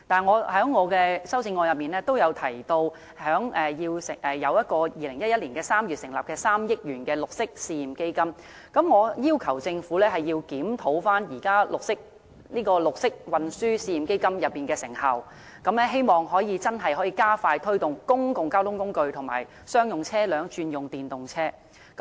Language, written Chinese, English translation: Cantonese, 我在修正案也提及2011年3月成立的3億元的綠色運輸試驗基金，我要求政府檢討綠色運輸試驗基金的成效，希望能夠真正加快推動公共交通工具和商用車輛轉用電動車。, I mention in my amendment the 300 million Pilot Green Transport Fund set up in March 2011 . I request the Government to review the effectiveness of the Pilot Green Transport Fund . I hope that this can truly expedite the promotion of the switch of public transport and commercial vehicles to EVs